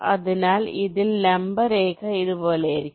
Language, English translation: Malayalam, so on this, the perpendicular line will be like this